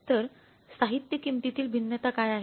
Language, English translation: Marathi, So, what is the material price variance